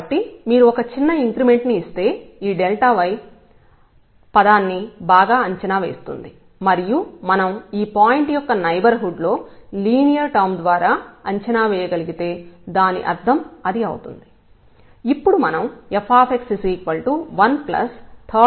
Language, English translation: Telugu, So, if you make a smaller increment then this dy is well approximating this delta y term and that was the meaning of that, if we can approximate by the linear term at least in the neighborhood of the point